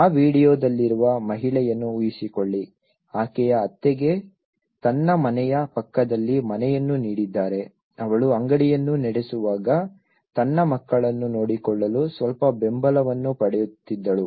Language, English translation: Kannada, Just imagine, of the lady in that video imagine if her in laws was given a house next to her house she would have got little support to look after her kids when she was running the shop